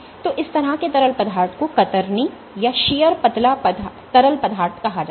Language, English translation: Hindi, So, this kind of fluid is called a shear thinning fluid